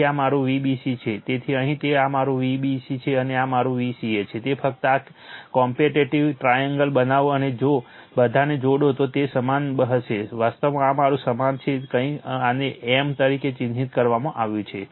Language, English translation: Gujarati, That is why this is my V bc whatever is here that is my V ab and this is my V ca just you make competitive this triangle and if, you join all it will be same actually this is my same some your something is marked this as a m right